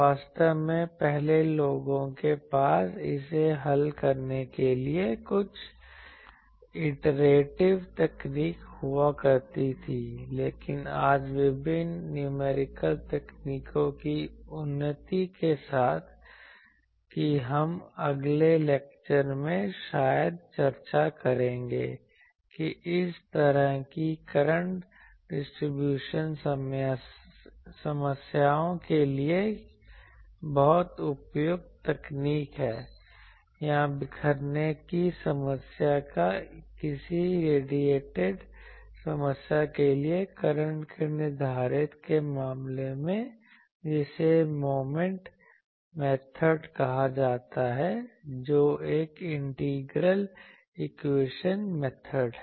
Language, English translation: Hindi, Actually previously people used to have some iterative techniques to solve that, but today with the advancement of various numerical techniques that also we will discuss probably in the next lecture, that there is a technique which is very much appropriate for this type of current distributions problem, or in case of determining currents for scattering problems or any radiating problem that is called Moment method that is an integral equation method that also we will see